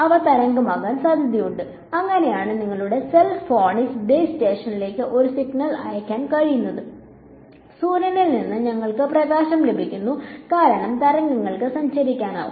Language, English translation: Malayalam, So, they are likely they are wave like and that is how you are able to your cell phone is able to send a signal to the base station and we are getting light from the sun, because these are all waves can travel